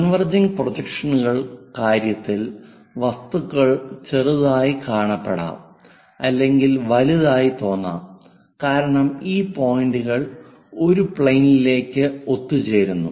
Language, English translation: Malayalam, In the case of converging projections, the objects may look small may look large because this points are going to converge on to a plane